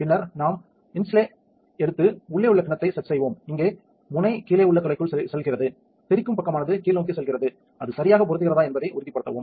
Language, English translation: Tamil, Then we take the inlay set the bowl here the nozzle goes into the hole down here in front, the splash ring the protruding side goes downwards make sure that its fits correctly